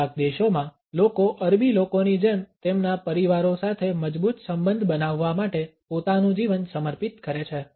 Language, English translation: Gujarati, In some countries people dedicate their lives to build a strong relationship with their families like the Arabic people